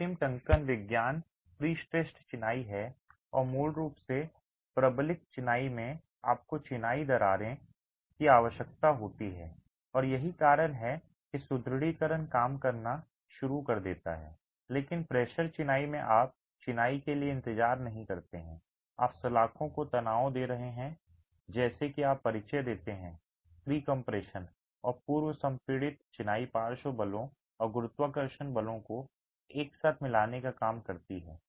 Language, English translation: Hindi, The final typology is pre stressed masonry and basically in reinforced masonry you require that the masonry cracks and that's when the reinforcement starts working but in pre stressed masonry you don't wait for the masonry to crack you are tensioning the bars such that you introduce a pre compression and the pre compressed masonry works to counteract lateral forces and gravity forces together